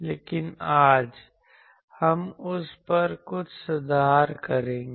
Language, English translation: Hindi, But today, we will make certain correction to that